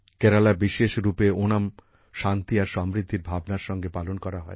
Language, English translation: Bengali, Onam, especially in Kerala, will be celebrated with a sense of peace and prosperity